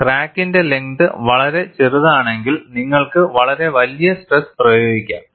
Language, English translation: Malayalam, When the crack length is very small, you could apply a very large stress